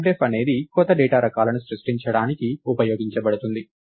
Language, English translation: Telugu, So, typedef is use to create new data types